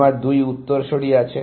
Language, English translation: Bengali, I have two successors